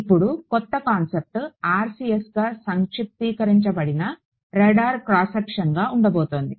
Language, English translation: Telugu, The new concept over here is going to be that of the radar cross section which is abbreviated as RCS